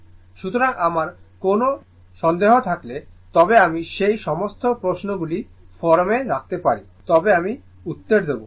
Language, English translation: Bengali, So, if you have any doubt you can put all that questions in the forum I will give you the answer right